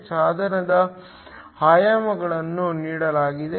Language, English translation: Kannada, The dimensions of the device are given